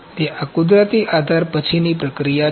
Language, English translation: Gujarati, So, this is natural support post processing